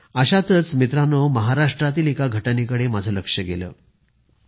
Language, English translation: Marathi, Recently, one incident in Maharashtra caught my attention